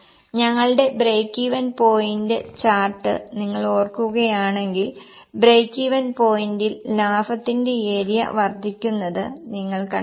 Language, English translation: Malayalam, If you remember our break even point chart, you will find that the profit area goes on increasing